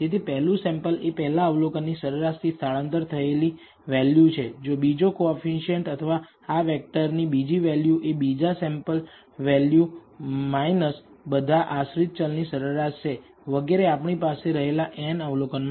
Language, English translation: Gujarati, So, the first sample is mean shifted value of the first observation, the second coefficient or second value in this vector is the second sample value minus the mean value of the dependent variable and so on for all the n observations we have